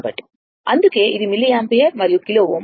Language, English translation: Telugu, So, that is why, it is milliampere and kilo ohm